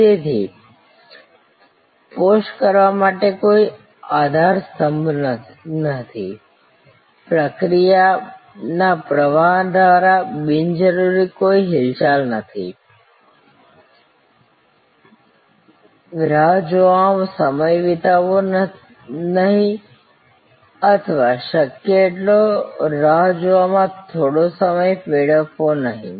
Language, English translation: Gujarati, So, no pillar to post, no movement which is unnecessary through the process flow, no time spend waiting or as little time wasted in waiting as possible